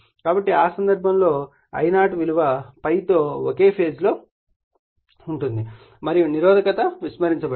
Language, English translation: Telugu, So, in that case I0 will be in phase with ∅ and your as it is as resistance is neglected